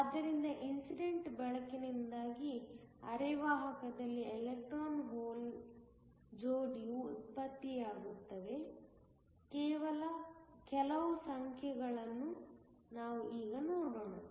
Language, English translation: Kannada, So, let us now look at some numbers where we have an electron hole pair being generated in a semiconductor due to incident light